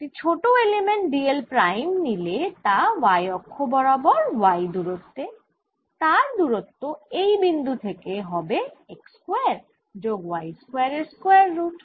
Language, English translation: Bengali, if i take a small element d l prime, its distance from x is going to be and this is at distance